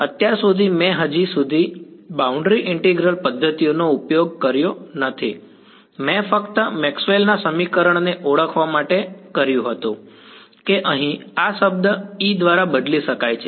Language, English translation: Gujarati, So, far I have not yet invoked boundary integral methods, all I did was to recognize Maxwell’s equation saying that this term over here can be replaced by E